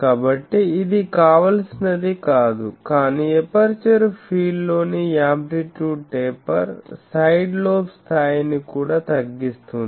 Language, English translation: Telugu, So, that is not desirable, but amplitude taper in the aperture field also decreases the side lobe level this we will show later